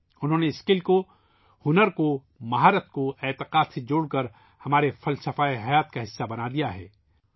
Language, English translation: Urdu, They have interlinked skill, talent, ability with faith, thereby making it a part of the philosophy of our lives